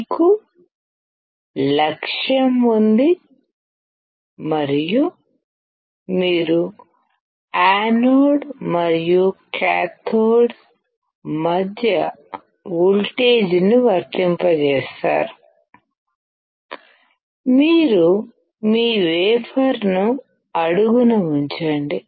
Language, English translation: Telugu, In this particular slide, you have the target, and you apply the voltage between the anode and cathode; you put your wafer in the bottom